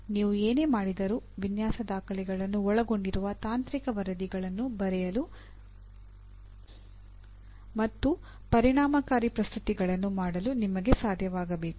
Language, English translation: Kannada, Whatever you do you need to write, you should be able to write technical reports or reports which are also include design documentations and make effective presentations